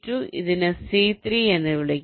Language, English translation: Malayalam, lets call it c three